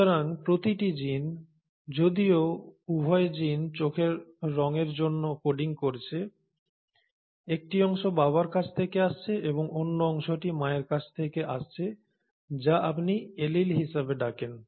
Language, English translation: Bengali, So each gene, though both of the genes are coding for the eye colour; one version is coming from the father and the other version is coming from the mother which is what you call as an allele